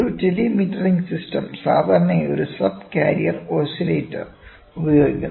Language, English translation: Malayalam, A telemetering system normally uses a subcarrier oscillator